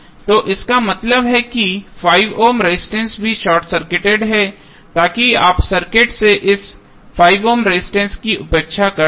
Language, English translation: Hindi, So, that means that 5 ohms resistance is also short circuited so you can neglect this 5 ohm resistance from the circuit